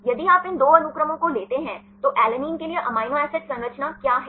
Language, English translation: Hindi, If you take these two sequences, what is the amino acid composition for alanine